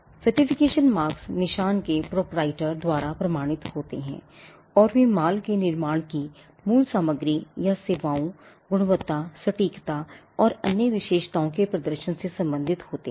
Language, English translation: Hindi, Certification marks are certified by the proprietor of the mark and they pertain to origin material mode of manufacture of goods or performance of services, quality, accuracy or other characteristics